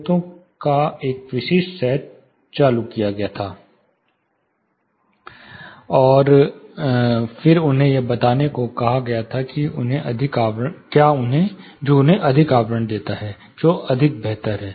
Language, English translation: Hindi, A specific set of speakers were turned on, and then they were asked to judge which gives them more envelopment, which is more better